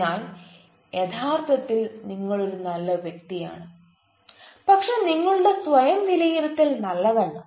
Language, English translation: Malayalam, but actually you are a good person, but your self assessment is not good